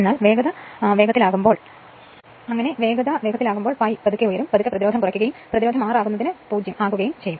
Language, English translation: Malayalam, But as soon as speed will speed will pick up slowly and slowly you cut down the resistance and being the resistance r is to 0